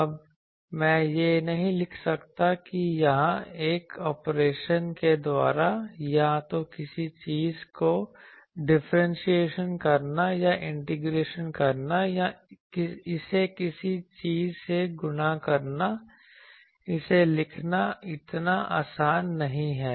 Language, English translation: Hindi, Now, I cannot write that by some operation here either by differentiation or integration something or multiplying it with something it is not so easy to write it